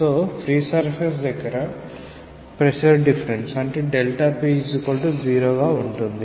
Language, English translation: Telugu, So, for the free surface you have dp equal to 0